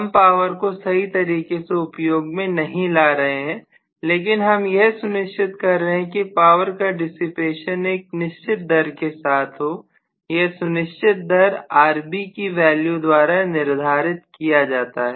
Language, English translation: Hindi, I am not utilizing the power very effectively, but I am making sure that the power dissipated is at the particular rate, if it is at a particular rate decided by what is the Rb value